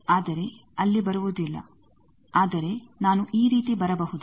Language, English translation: Kannada, But there is no coming, but can I come like this